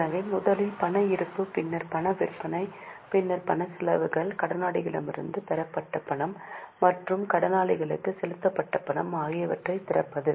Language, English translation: Tamil, So, first one was opening balance of cash, then cash sales, then cash expenses, cash received from data and cash paid to creditor